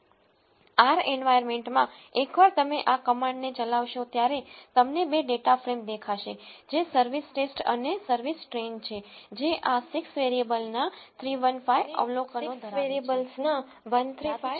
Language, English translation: Gujarati, In the R environment, once you execute these commands you will see two data frames which are service test and service train which are having this 315 observations of 6 variables and 135 observations of 6 variables